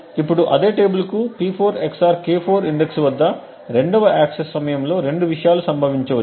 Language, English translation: Telugu, Now during the 2nd access to the same table at the index P4 XOR K4 there are 2 things that can occur